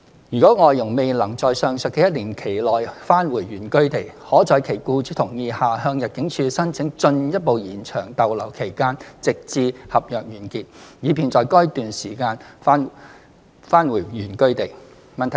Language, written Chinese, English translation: Cantonese, 如外傭未能在上述的一年期內返回原居地，可在其僱主同意下向入境處申請進一步延長逗留期限直至合約完結，以便在該段期間返回原居地。, If an FDH is unable to return to hisher place of origin within the aforementioned one - year period heshe may upon agreement with hisher employer apply to the ImmD for a further extension of limit of stay until the end of hisher contract such that heshe may return to the place of origin within that period